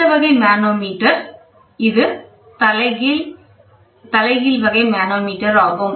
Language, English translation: Tamil, So, the next type manometer is going to be inverted bell type manometer